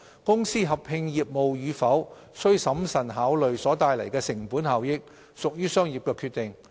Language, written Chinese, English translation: Cantonese, 公司合併業務與否須審慎考慮所帶來的成本效益，屬於商業決定。, Costs and benefits have to be carefully considered prior to an amalgamation of businesses and that is a business decision